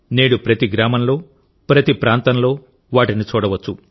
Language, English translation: Telugu, Today they can be seen in every village and locality